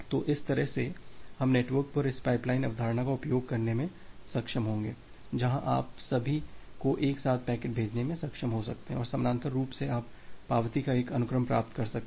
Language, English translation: Hindi, So, that way we will be able to use this pipeline concept over the network where you could be able to send a sequence of packets all together and parallely you can receive a sequence of acknowledgement